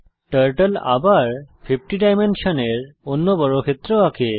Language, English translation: Bengali, Lets run again Turtle draws another square with dimension 50